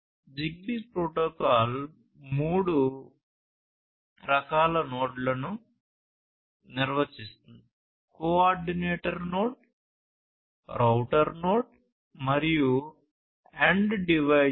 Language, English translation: Telugu, So, the ZigBee protocol defines three types of nodes: the coordinator node, the router node and the end devices